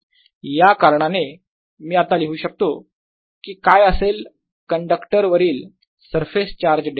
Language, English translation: Marathi, as a consequence, i can also write what this surface charge density will be on a conductor